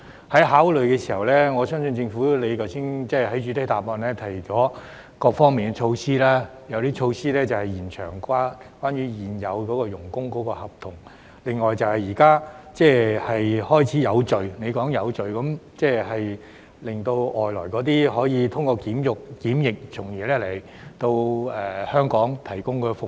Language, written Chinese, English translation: Cantonese, 當作考慮時，我相信政府......剛才局長在主體答覆中提到各方面的措施，有些措施是延長現有外傭的合同，另外局長提到有序，即是讓外傭通過檢疫後來香港提供服務。, When considering this I believe the Government the Secretary has just mentioned in his main reply about the measures in various aspects Some of the measures were related to the extension of contracts of existing FDHs and the Secretary also mentioned the orderly manner in which FDHs were allowed to come to Hong Kong to provide services after completing the quarantine process